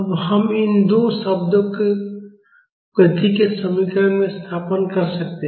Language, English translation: Hindi, Now we can substitute these two terms in the equation of motion